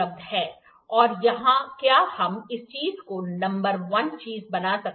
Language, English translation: Hindi, And can we make this thing number one thing